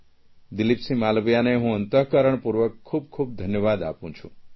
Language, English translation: Gujarati, My heartfelt congratulations to Dileep Singh Malviya for his earnest efforts